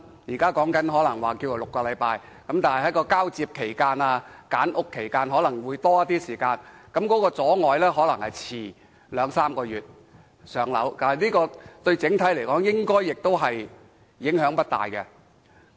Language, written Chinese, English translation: Cantonese, 現在有說法是需時6周翻新，加上交接及揀屋，可能需要更多時間，或會阻遲入住公屋兩三個月，但整體而言，應該影響不大。, It is now said that the renovation is going to take six weeks while handover and selection of unit will take a few weeks further . Altogether it may cause a two to three months delay in moving into a PRH unit . But on the whole the impact should be limited